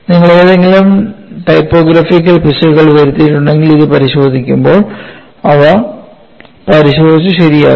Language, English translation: Malayalam, If you have made any typographical errors, please verify and correct them while looking at this